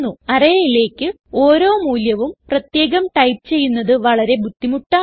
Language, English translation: Malayalam, It would be a long process if we have to type each value into the array